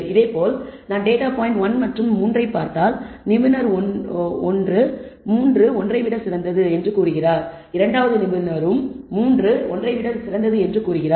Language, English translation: Tamil, Similarly if I look at the data point 1 and 3 expert 1 says it is better 3 is better than 1, expert 2 also says 3 is better than 1